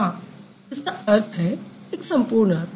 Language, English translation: Hindi, It has a meaning, complete meaning